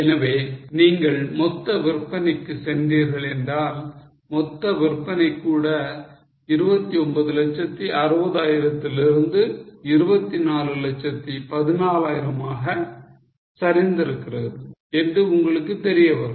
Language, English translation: Tamil, So, if you go for total sales, you will realize that even total sales have fallen from 29 60,000 to 24 14,000